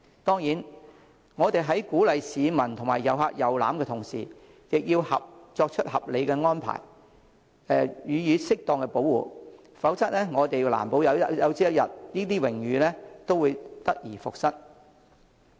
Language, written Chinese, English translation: Cantonese, 當然，我們在鼓勵市民及旅客遊覽時，亦要作合理安排，予以適當保護，否則難保有朝一日，這些榮譽也會得而復失。, As we encourage members of the public and tourists to visit these places we must of course ensure that reasonable arrangements are made for their protection accordingly or else we may lose such honour forever some day